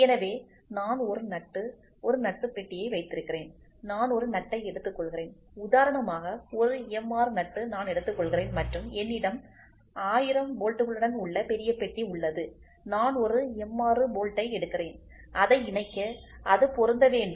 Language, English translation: Tamil, So, I have a nut a box of nut is there I pick one nut I take a box a counter say for example, M 6 nut I take and I have a big box of 1000s bolt I pick one M 6 bolt I should just try to mate it, it should assemble